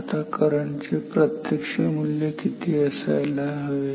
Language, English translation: Marathi, Now, what is the value of the current actual current